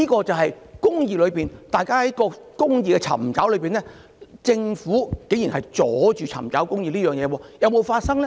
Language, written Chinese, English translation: Cantonese, 這便是大家在尋求公義時，政府卻竟然阻礙市民尋求公義，這些事有沒有發生呢？, This goes to show that when the people are seeking justice the Government has outrageously obstructed the people in seeking justice . Did these things happen?